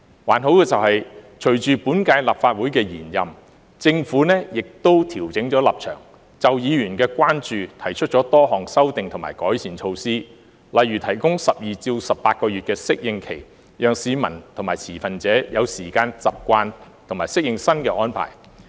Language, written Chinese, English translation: Cantonese, 還好的是，隨着本屆立法會延任，政府亦調整了立場，就議員的關注提出多項修訂和改善措施，例如提供12至18個月的適應期，讓市民和持份者有時間習慣和適應新的安排。, It is opportune that following the extension of the current term of the Legislative Council the Government has adjusted its stance and proposed a number of amendments and improvement measures to address Members concerns such as providing a phasing - in period of 12 to 18 months to allow time for the public and stakeholders to get accustomed and adapt to the new arrangements